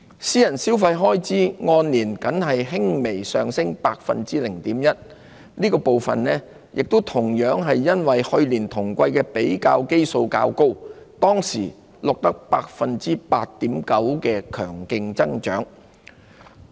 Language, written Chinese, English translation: Cantonese, 私人消費開支按年僅微升 0.1%， 這個部分亦同樣由於去年同季的比較基數較高，當時錄得 8.9% 的強勁增長。, Private consumption expenditure increased marginally by just 0.1 % over a year earlier . That was also partly a result of the high base of comparison in the same quarter of last year when private consumption expenditure grew strongly by 8.9 %